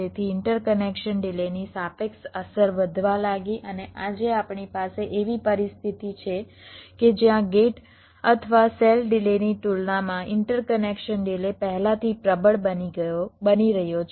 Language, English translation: Gujarati, so the relative impact of the interconnection delays started to increase and today we have a situation where the interconnection delay is becoming pre dominant as compare to the gate or cell delays